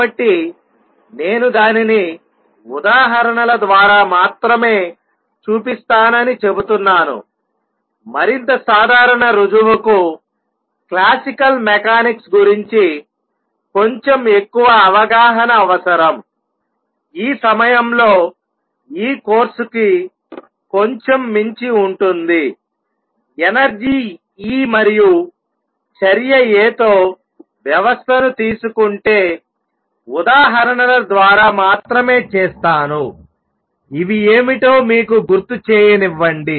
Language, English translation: Telugu, So, I am claiming that I will show it only through examples; more general proof requires little more understanding of classical mechanics which at this time is slightly beyond this course, I will do only through examples that if I take a system with energy E and action A; let me remind you what these are